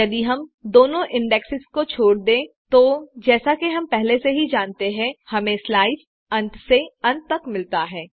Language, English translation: Hindi, If we skip both the indexes, we get the slice from end to end, as we already know